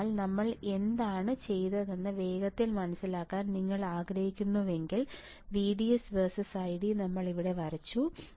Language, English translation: Malayalam, So, again if you want to understand quickly what we have done; what we have done here that we have drawn the ID versus VDS plot